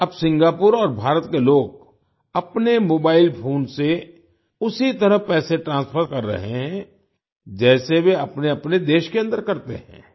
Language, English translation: Hindi, Now, people of Singapore and India are transferring money from their mobile phones in the same way as they do within their respective countries